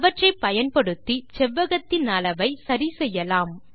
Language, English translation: Tamil, We can use these control points to adjust the size of the rectangle